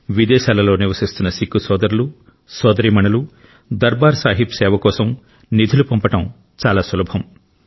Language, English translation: Telugu, It has now become easier for our Sikh brothers and sisters abroad to send contributions in the service of Darbaar Sahib